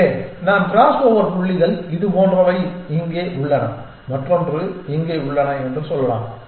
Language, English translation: Tamil, So, let us say that our crossover points are like this one is here and the other one is here